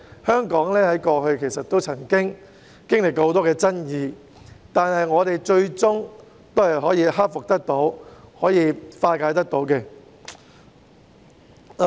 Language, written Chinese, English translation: Cantonese, 香港過去亦曾經歷過很多爭議，但我們最終都可以克服困難，化解矛盾。, Hong Kong has also met many controversies in the past but we managed to overcome them and resolve the conflicts eventually